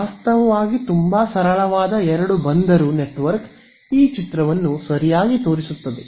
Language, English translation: Kannada, So, actually a very simple two port network also drives home this picture very well right